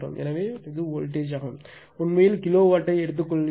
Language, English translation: Tamil, So, voltage we are taking actually kilovolt